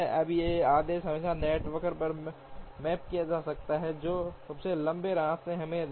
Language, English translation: Hindi, Now, this order can always be mapped on to the network, and the longest path would give us